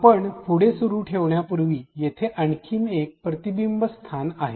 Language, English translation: Marathi, Before we continue further here is another reflection spot